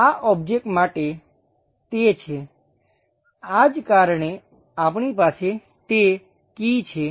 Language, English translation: Gujarati, For this object, it has; that is the reason, we have that key